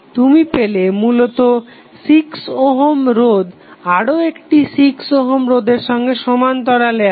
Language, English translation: Bengali, You get eventually the 6 ohm in parallel with another 6 ohm resistance